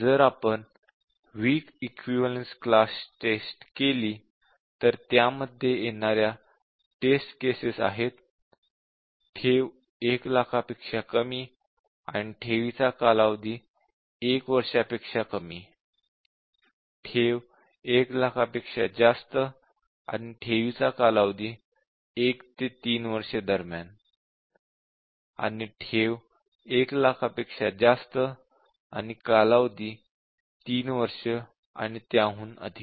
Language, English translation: Marathi, If we do a weak equivalence class testing, we can take principal less than 1 lakh and deposit less than 1 year, we can take principal more than 1 lakh and period of deposit between 1 to 3 and we can any of these that period is greater than 3 and principal is greater than to 1 lakh and period is 3 year and above